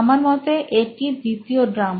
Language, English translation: Bengali, I guess that is the second drum